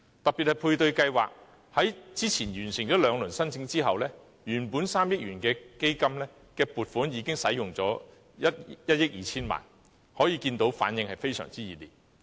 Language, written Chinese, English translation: Cantonese, 特別是配對計劃在早前完成兩輪申請後，原本3億元的基金撥款已使用了1億 2,000 萬元，可見反應非常熱烈。, In particular upon completion of two rounds of applications under the Pilot Scheme earlier 120 million of the original funding of 300 million was used evident of the enthusiastic responses